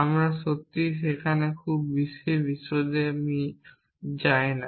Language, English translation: Bengali, We not really go into too much detail there